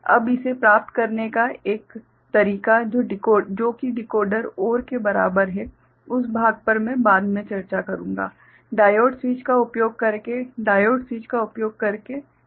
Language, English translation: Hindi, Now, one way to achieve this which is equivalent to Decoder OR, that part I shall discuss later is by using diode switch, by using diode switch ok